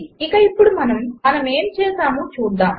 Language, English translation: Telugu, And now let us see what we did